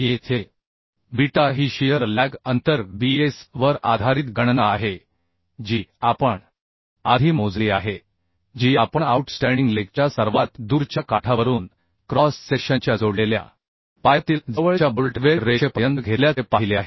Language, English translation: Marathi, 3 Here beta is the calculated based on the shear lag distance bs which we have calculated earlier we have seen taken from the furthest edge of the outstanding leg to the nearest bolt or weld line in the connected leg of the cross section So this is what clause 6